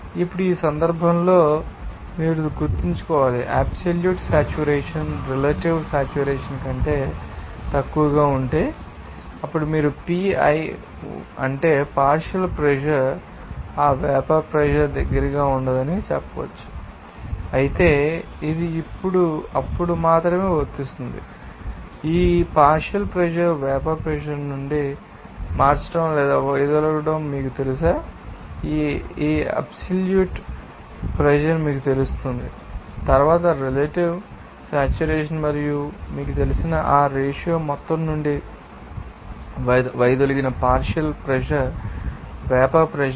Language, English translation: Telugu, Now, in this case, you have to remember that, if suppose absolute saturation is less than relative saturation, then you can say that P i that means partial pressure will not be close to that vapor pressure, but this will come only when then if this partial pressure is you know that changing or deviated from the vapor pressure so, this absolute pressure will be you know, then defined in terms of relative saturation and also that ratio of that you know, vapor pressure to the partial pressure deviated from the total pressure